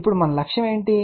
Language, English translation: Telugu, Now, what is our objective